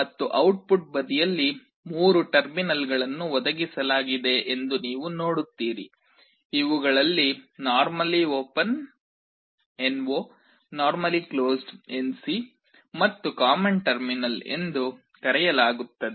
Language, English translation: Kannada, And on the output side you see there are three terminals that are provided, these are called normally open normally closed , and the common terminal